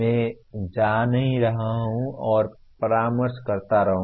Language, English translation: Hindi, I am not going to keep going and consulting